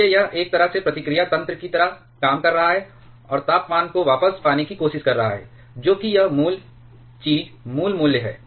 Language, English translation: Hindi, Therefore, it is in a way is acting like feedback mechanism in and is trying to get the temperature back to it is original thing original value